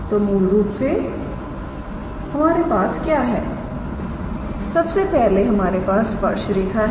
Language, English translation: Hindi, So, basically what we have is here is first of all the tangent line right